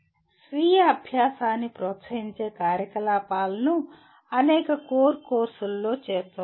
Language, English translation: Telugu, Activities that promote self learning can be incorporated in several core courses